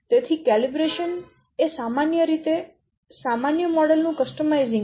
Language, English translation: Gujarati, So, calibration is in a sense a customizing a generic model